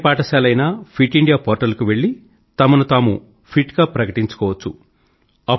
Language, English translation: Telugu, The Schools can declare themselves as Fit by visiting the Fit India portal